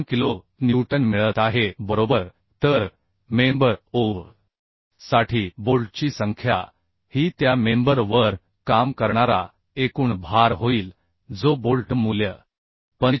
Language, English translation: Marathi, 3 kilonewton right So number of bolt for member OB will become the total load the load acting on the member that was 140 kilonewton by the bolt value 45